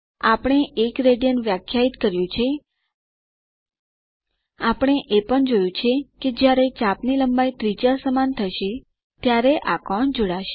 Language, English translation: Gujarati, We defined 1 rad, we also saw that, this is the angle that will be subtended when the arc length is equal to the radius